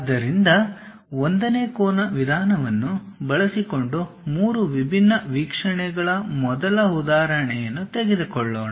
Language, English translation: Kannada, So, let us take first example three different views using 1st angle method